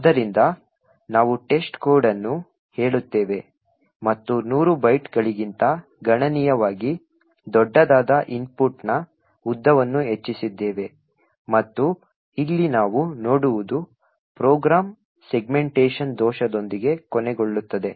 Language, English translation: Kannada, Now look what happens when we increase the length of the input so we say test code and increased the length of the input considerably much larger than the 100 bytes and what we see here is that the program terminates with a segmentation fault